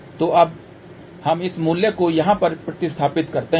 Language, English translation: Hindi, So, now, we substitute this value over here